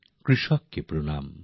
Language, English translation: Bengali, Salute to the farmer